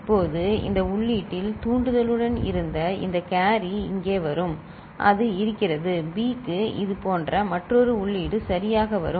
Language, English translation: Tamil, Now this carry which was at this input with the trigger will come over here and it is there and for B another such input will come ok